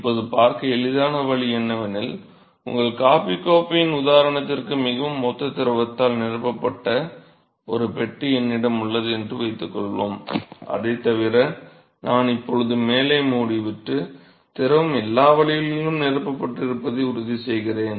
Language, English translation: Tamil, Now, an easy way to see that is suppose I have a box, which is filled with the fluid very similar to your coffee cup example, except that I now close the top and I will make sure that the fluid is filled all the way to the top of the enclosure